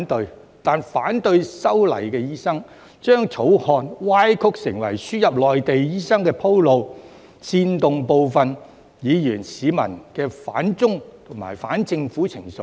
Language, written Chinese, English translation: Cantonese, 然而，反對修例的醫生，將該條例草案歪曲成為輸入內地醫生鋪路，煽動部分議員和市民的反中和反政府情緒。, However those doctors who opposed the legislative amendment distorted the purpose of that bill as paving way for the admission of Mainland doctors and incited anti - China and anti - government sentiments among some Members and the public